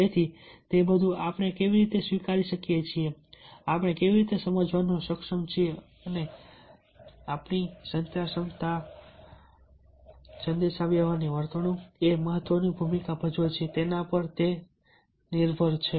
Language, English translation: Gujarati, so it all depends how we take up, how we are able to convince, and in the role of our communication ability